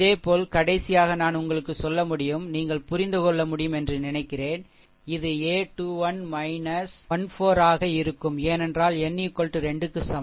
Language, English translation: Tamil, Similarly, last one also, last one shall I tell you I think last one also you will be able to understand, because n is equals to 3 so, it will be a 3 1 minus 1 4, right